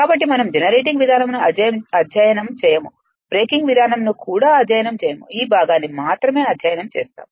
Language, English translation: Telugu, So, we will not study um generating mode, we will not study breaking mode also only this part